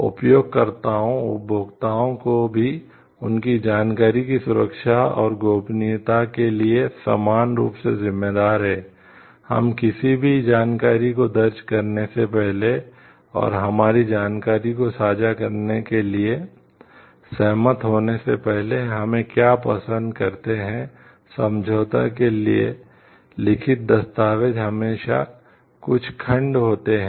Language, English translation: Hindi, The users, the consumers also are equally responsible for the safety and privacy of their information, what we find is like before we enter any information and, before we like agree to sharing our information, there are always certain like clauses written documents of agreement written